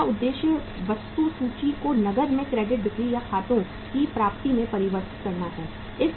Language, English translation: Hindi, Out objective is to convert the inventory into cash not into the credit sales or accounts receivables